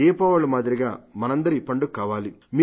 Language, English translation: Telugu, Just like Diwali, it should be our own festival